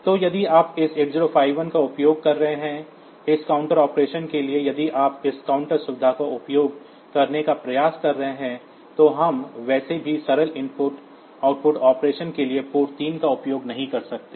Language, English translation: Hindi, So, if you are using this 8051, for this counter operation if you are trying to use this counter facility then we cannot use port 3 for simple input output operation anyway